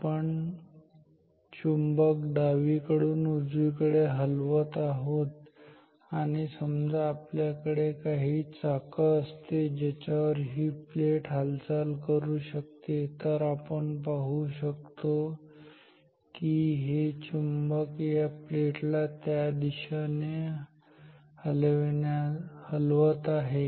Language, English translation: Marathi, So, we are moving the magnet from left to right and say if we if we have some wheels on which this plate can move then we will see that as the magnet is moving the plate is also moving in the same direction so this is the observation ok